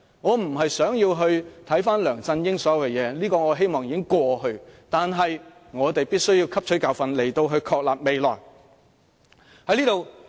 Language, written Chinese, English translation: Cantonese, 我不是想回顧梁振英所有的事情，這些已成過去，但我們必須汲取教訓以確立未來路向。, Bygones are bygones I have no intention of looking back at everything about LEUNG Chun - ying but we really must learn our lessons to determine our way forward